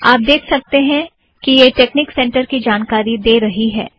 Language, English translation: Hindi, You can see that it talks about texnic center